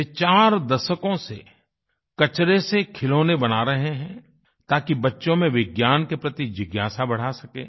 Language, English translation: Hindi, He has been making toys from garbage for over four decades so that children can increase their curiosity towards science